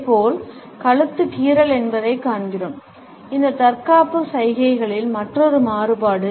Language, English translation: Tamil, Similarly, we find that the neck is scratch is another variation of this defensive gestures